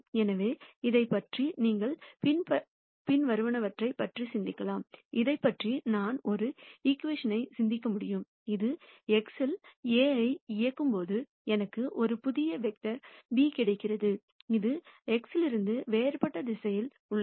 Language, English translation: Tamil, So, you can think about this as the following I can think about this as a equation, which tells me that when I operate A on x then I get a new vector b which is in a di erent direction from x